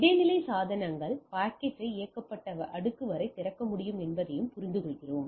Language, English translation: Tamil, And also we understand that intermediate devices can open the packet up to the layer it is enabled